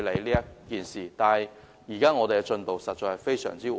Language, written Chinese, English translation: Cantonese, 不過，現時的進度實在非常緩慢。, But the present progress is honestly very slow